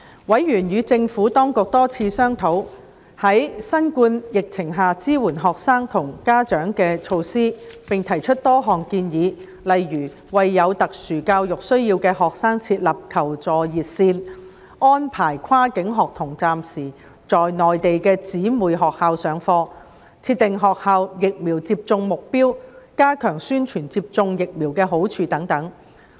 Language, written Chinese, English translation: Cantonese, 委員與政府當局多次商討在新冠疫情下支援學生和家長的措施，並提出多項建議，例如為有特殊教育需要的學生設立求助熱線、安排跨境學童暫時在內地的姊妹學校上課、設定學校疫苗接種目標、加強宣傳接種疫苗的好處等。, Members held several discussions with the Administration on the measures to support students and parents under the COVID - 19 epidemic and put forth many suggestions eg . setting up a help - seeking hotline for students with special educational needs arranging cross - boundary students to attend classes temporarily in the sister schools in the Mainland setting a vaccination target for schools stepping up the promotion of the benefits of receiving vaccination etc